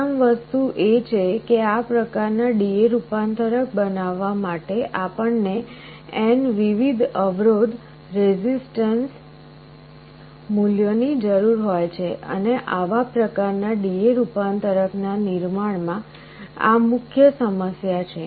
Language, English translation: Gujarati, The first thing is that to construct this kind of a D/A converter, we need n different resistance values, and this is one of the main problems in manufacturing this kind of D/A converter